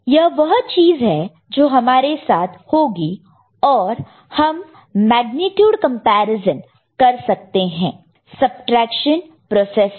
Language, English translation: Hindi, This is the thing that will occur to us and of course, we can get a magnetic comparison done by subtraction process, ok